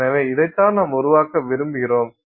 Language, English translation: Tamil, This is what we want to create